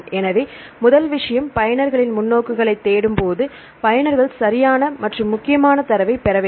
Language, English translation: Tamil, So, the thing is when we search the users perspectives, the user should get the reliable data and the required data that is important